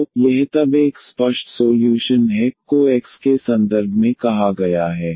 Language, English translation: Hindi, So, this is then an explicit solution is given y is a stated in terms of the x